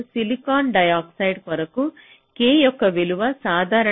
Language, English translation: Telugu, and for silicon dioxide the value of k is typically three point nine